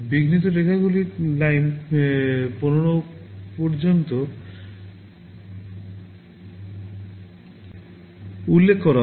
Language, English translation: Bengali, These interrupt lines are referred to as Line0 up to Line15